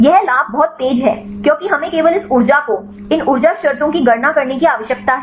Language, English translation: Hindi, The advantage it is very fast because we need to calculate only this energy these energy terms